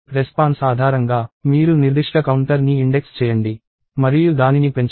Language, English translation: Telugu, And based on the response, you index that particular counter and increment it